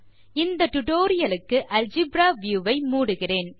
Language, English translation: Tamil, For this tutorial I will close the Algebra view